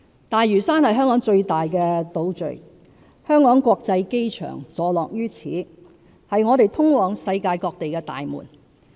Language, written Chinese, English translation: Cantonese, 大嶼山是香港最大的島嶼，香港國際機場坐落於此，是我們通往世界各地的大門。, Lantau the largest outlying island in Hong Kong is home to the Hong Kong International Airport and the gateway to the world